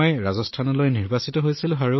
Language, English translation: Assamese, I got selected for Rajasthan